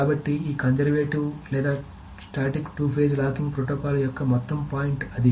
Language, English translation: Telugu, So that is the whole point of this conservative or static two phase locking protocol